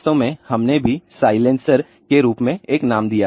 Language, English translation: Hindi, In fact, we also gave a name as silencer